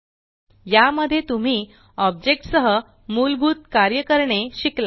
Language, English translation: Marathi, In this tutorial, you have learnt the basics of working with objects